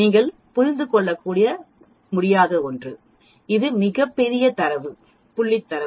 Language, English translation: Tamil, You cannot even comprehend, it is a very large data point set of data